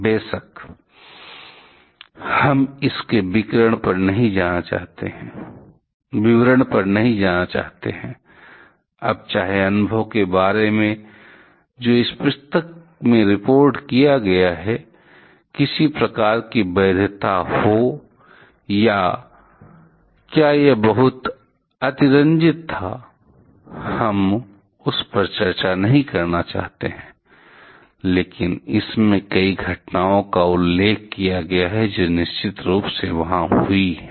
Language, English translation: Hindi, Of course, we do not want to go to the details of this, now whether there is any kind of validity about the experience, report in this book or whether it was very much exaggerated, we do not want to discuss that, but it mentions several incidents that definitely happened there